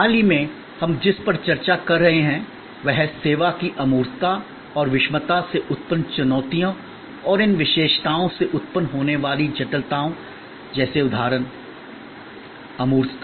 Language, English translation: Hindi, What we have been discussing lately are the challenges arising from the intangibility and heterogeneity of service and the complexities that arise from these characteristics like for example, abstractness